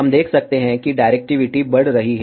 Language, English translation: Hindi, We can see that the directivity is increasing